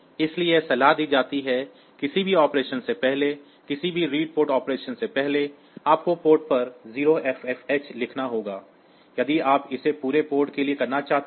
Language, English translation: Hindi, So, it is advisable that before any in operation; before any read port operation, you do a right port with the value 0FFH